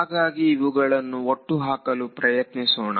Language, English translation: Kannada, So, let us try to put it together